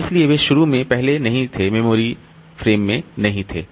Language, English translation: Hindi, So, initially they were not previously they were not there in the memory frames